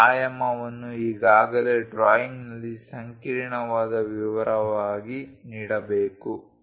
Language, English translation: Kannada, This dimension must have been already given in the drawing as intricate detail